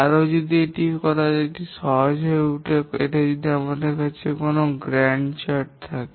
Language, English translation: Bengali, And that becomes easier to do if we have a Gant chart